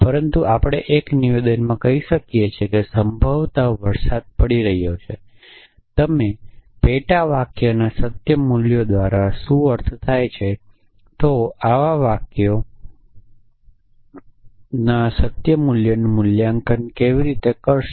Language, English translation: Gujarati, But we can make a statement that it is possibly raining what is a what you mean by truth values of sub sentences, how would you valuated truth value of such a sentence